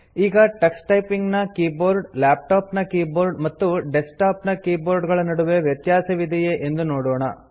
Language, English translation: Kannada, Now let us see if there are differences between the Tux Typing keyboard, laptop keyboard, and desktop keyboard